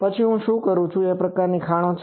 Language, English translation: Gujarati, Then what I say that these type of mines are there